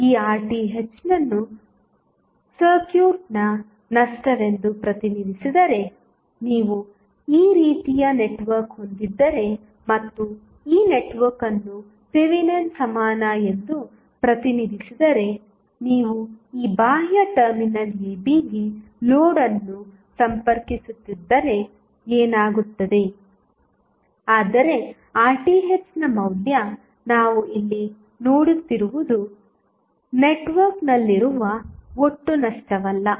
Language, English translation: Kannada, Now, if Rth is represented as loss of the circuit, so, what happens if you have the network like this and you are connecting load to this external terminal AB if this network is represented as Thevenin equivalent, but, the value of Rth which we are seeing here is nothing but total loss which is there in the network